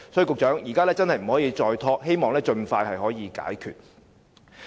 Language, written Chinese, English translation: Cantonese, 局長，現在真的不可再拖延，希望可以盡快解決問題。, Secretary the project really cannot be further delayed and we hope the problems can be resolved as soon as possible